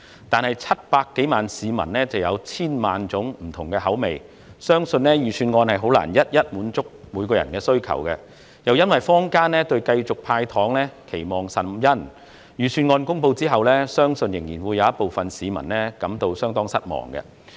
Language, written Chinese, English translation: Cantonese, 但是 ，700 多萬名市民有千萬種不同的口味，相信預算案難以一一滿足各人的需求，而且坊間對繼續"派糖"期望甚殷，我相信在預算案公布後仍有部分市民感到相當失望。, However since over 7 million people have countless different tastes it is believed that the Budget can hardly satisfy the needs of everyone . Besides there were strong public expectations for the Government to continue to hand out candies . I believe some people did feel very disappointed after the announcement of the Budget